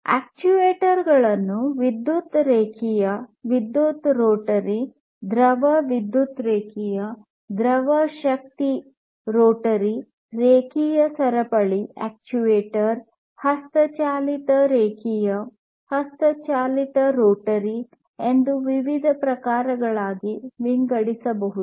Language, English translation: Kannada, And these are some of these examples, electric linear, electric rotary, fluid power linear, fluid power rotary, linear chain actuator, manual linear, manual rotary